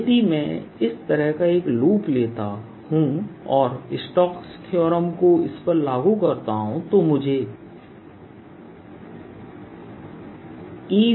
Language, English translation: Hindi, and therefore if i take a loop like this and applies strokes, such theorem to this, i get e